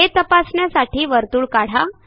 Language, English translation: Marathi, Lets draw a circle